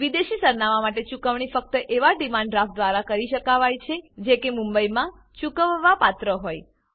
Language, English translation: Gujarati, For foreign addresses, payment can be made only by way of Demand Draft payable at Mumbai